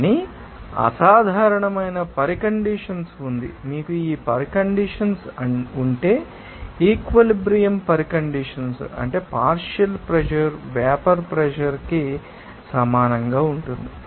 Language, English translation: Telugu, But there is an exceptional condition, if you are having this condition at you know, saturation condition that means, partial pressure will be equal to vapour pressure